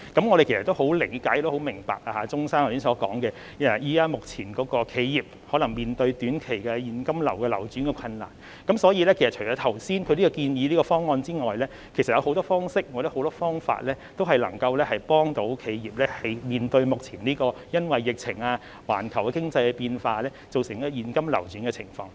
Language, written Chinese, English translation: Cantonese, 我們十分理解和明白鍾議員剛才所說的情況，目前企業可能面對短期現金流轉困難，所以除了他剛才建議的方案之外，其實還有很多方式或方法，同樣能夠幫助企業面對目前因為疫情、環球經濟變化造成現金流轉困難的情況。, We are well aware of and we understand the situation Mr CHUNG just now . Enterprises are now beset with short - term cash flow difficulties . So apart from the proposal he just mentioned there are actually many other means or options which can help enterprises ease their cash flow difficulties caused by the epidemic and the global economic changes at present